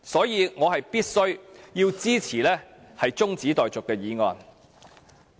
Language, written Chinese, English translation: Cantonese, 因此，我必須支持中止待續的議案。, For this reason I must support the motion to adjourn the debate